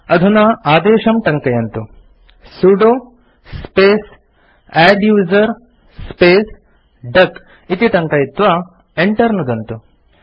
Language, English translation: Sanskrit, Type the command#160: sudo space adduser space duck, and press Enter